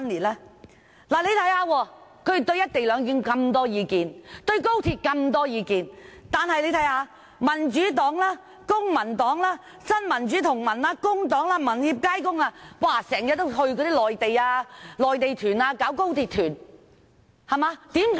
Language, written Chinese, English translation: Cantonese, 他們對"一地兩檢"和高鐵有那麼多意見，但民主黨、公民黨、新民主同盟、工黨、民協、街工，卻經常組織高鐵團前往內地。, While making numerous complaints about the co - location arrangement and the Express Rail Link XRL the Democratic Party Civic Party Neo Democrats Labour Party Hong Kong Association for Democracy and Peoples Livelihood and Neighbourhood and Workers Service Centre have often organized high - speed rail tours to the Mainland